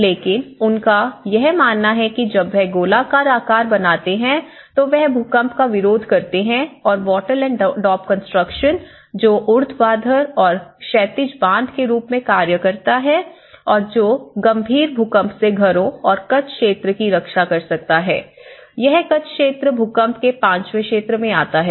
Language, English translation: Hindi, But and also this is how when the moment from the circular form, they believe that this is smaller circular shapes, they resist earthquakes and this wattle and daub which acts as the vertical and the horizontal bands and which can protect the houses from the severe earthquakes and this Kutch zone, Kutch area this falls in the fifth zone, zone 5 in the earthquake zoning